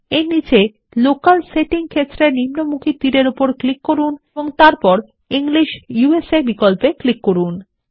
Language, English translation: Bengali, Below that click on the down arrow in the Locale setting field and then click on the English USAoption